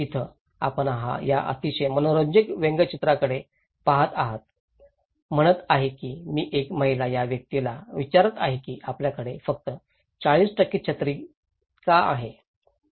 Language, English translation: Marathi, Like here, you look into this very interesting cartoon is saying this lady is asking this person that why you have only 40% of your umbrella is covered